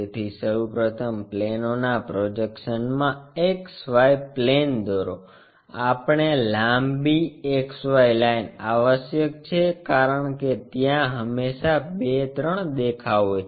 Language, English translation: Gujarati, So, first of all draw a X Y plane in projection of planes, we really require a longer X Y line, because there always be 2 3 views